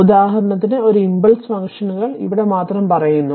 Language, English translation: Malayalam, So, for example, an impulse functions say here just here